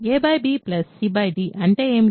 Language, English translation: Telugu, What is a by b plus c by d